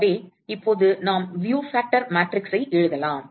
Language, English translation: Tamil, So, now, we can write the view factor matrix